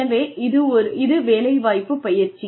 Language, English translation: Tamil, So, it is, on the job training